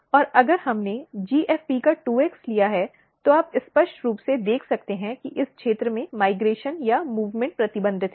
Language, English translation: Hindi, And if we took 2x of the GFP, you can clearly see that migration or movement is restricted in this region